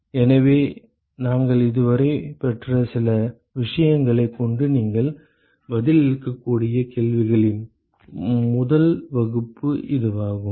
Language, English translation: Tamil, So that is the first class of questions you can answer with some of the things that we have derived so far